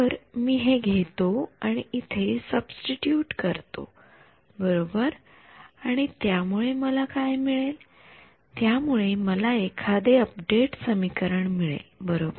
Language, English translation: Marathi, So, I take this guy take this guy and substitute them here right and what will that give me, it will give me some update equation right